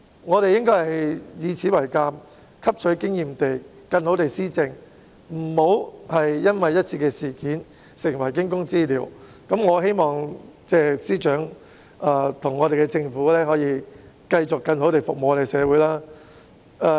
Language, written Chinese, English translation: Cantonese, 我們應該以此為鑒，汲取經驗後更好地施政，切勿因為一次事件而成為驚弓之鳥，我希望司長和政府可以繼續更好地服務社會。, We should learn a lesson from this and effect administration better after gaining such experience . They should not be always on tenterhooks because of a single incident . I hope the Chief Secretary and the Government will continue to serve the community in a better way